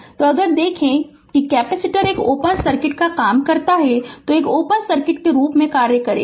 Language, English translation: Hindi, So, ah if you if you look, if you look into that the capacitor acts an open circuit acts as an open circuit right